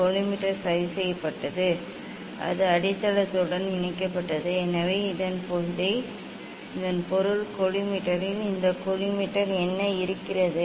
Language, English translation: Tamil, collimator is fixed, it is attached with the base So that means, this collimator in collimator what is there